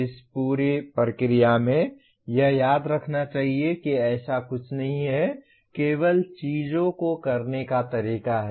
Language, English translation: Hindi, In this whole process it should be remembered there is nothing like a, the only way to do things